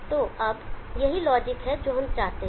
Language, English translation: Hindi, So now that is the logic that we want